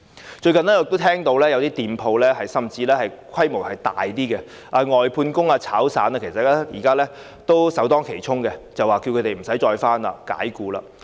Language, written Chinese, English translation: Cantonese, 我最近也聽到有些店鋪，甚至是規模較大的，其聘用的外判工或散工現在是首當其衝，僱主着他們不用上班，直接把他們解僱。, Recently I have also heard that the outsourced or casual workers employed by some shops even those of a larger scale are now the first to bear the brunt . Employers told them that they no longer needed to go to work and dismissed them right away